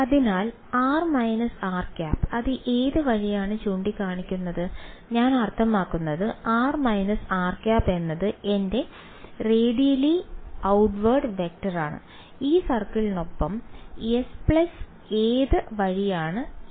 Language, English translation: Malayalam, So, r minus r hat which way is it pointing I mean r minus r hat is my radially outward vector and along this circle s plus which way is n hat